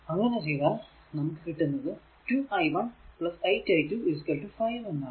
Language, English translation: Malayalam, So, if we just just 2 i 2 is equal to 8 3 8 by 3 i